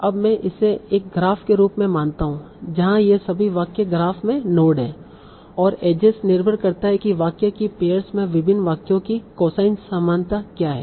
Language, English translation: Hindi, Now I treat it as a graph where all these sentences are the notes in the graph and as is depend on what is this cosine similarity of different sentences in this the pair of sentences